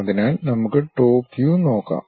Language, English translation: Malayalam, So, let us look at top view